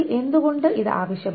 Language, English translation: Malayalam, Now if this, why is this required